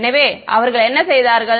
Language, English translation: Tamil, So, what have they done